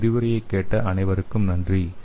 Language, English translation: Tamil, I thank you all for listening the lecture